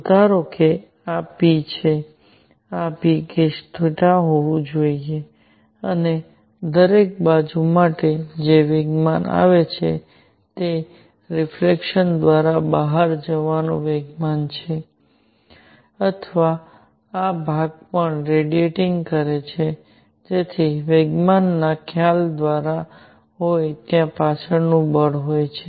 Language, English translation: Gujarati, So, suppose this is p; this has to be p cosine of theta and for every side that momentum comes in there is a momentum going out either by reflection or this part is also radiating so that there is a back by momentum conversation there is a back force